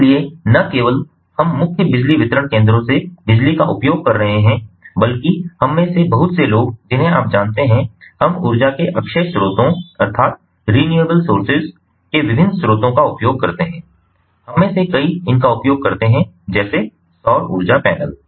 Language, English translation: Hindi, so not only we are using power from the main power distribution centers, but also many of us we have, you know, other, you know, we exploit the different other sources of energy, the renewable sources of energy